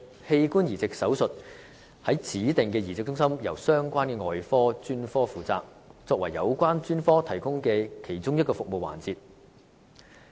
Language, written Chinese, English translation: Cantonese, 器官移植手術於指定的移植中心由相關的外科專科負責，作為有關專科提供的其中一個服務環節。, Organ transplant surgery is covered by the relevant surgical specialties of designated centres as an integrated element of their service provision